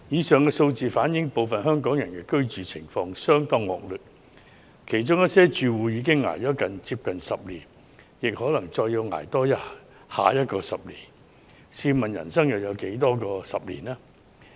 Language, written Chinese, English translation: Cantonese, 上述數字反映，部分香港人的居住環境相當惡劣，其中一些住戶已捱了近10年，更可能要多捱10年，試問人生還有多少個10年？, These figures have reflected the poor living conditions of some Hong Kong people . Some of the households have been suffering for nearly a decade and they may still have to endure this for another decade to come . How many decades do we have in a lifetime?